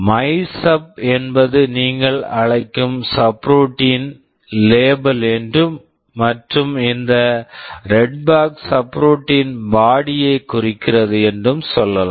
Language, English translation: Tamil, Let us say MYSUB is the label of the subroutine you are calling and this red box indicates the body of the subroutine